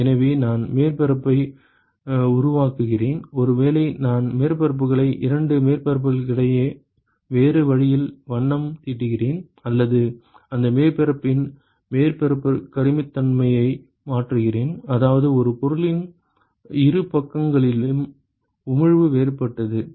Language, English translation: Tamil, So, I create the surface maybe I paint the surfaces, two surfaces in some other way, or I alter the surface roughness of that surface as such that the emissivity of the two sides of the same object is different ok